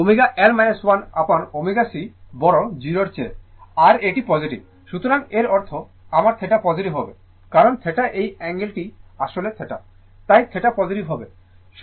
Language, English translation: Bengali, So, omega L minus 1 upon omega c greater than 0 is positive; so that means, my theta will be positive; because theta this actually this angle actually theta, so, theta will be positive